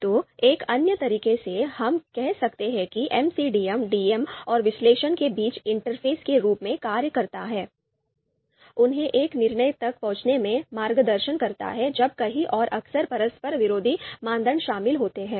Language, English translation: Hindi, So in another way, we can say that MCDM serves as the interface between DMs and analyst, guiding them in reaching a decision when multiple and often conflicting criterias are involved